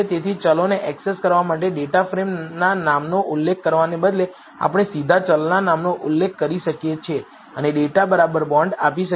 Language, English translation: Gujarati, So, instead of mentioning the name of the data frame to access the variables, we can directly mention the name of the variable and give data equal to bonds